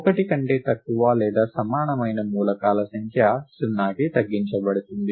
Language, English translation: Telugu, And the number of elements less than or equal to 1 is reduced to 0